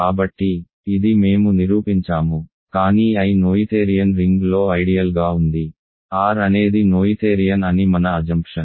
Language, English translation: Telugu, So, this we have proved, but I is an ideal in a noetherian ring right, R is noetherian that is our assumption